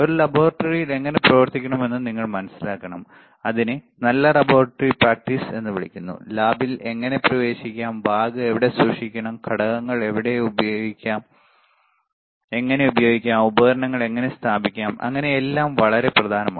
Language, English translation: Malayalam, You should understand how to work in a laboratory, and that is called good laboratory practices how to enter the lab, where to keep the bag, how to use the components, how to place the equipment, that is how it is very important all, right